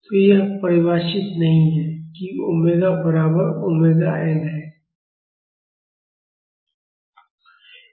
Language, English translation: Hindi, So, this is not defined at omega is equal to omega n